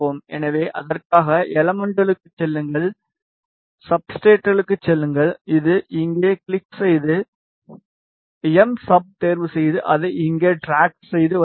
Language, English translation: Tamil, So, for that go to elements go to substrates which is here click on it and choose MSUB, drag it here, place it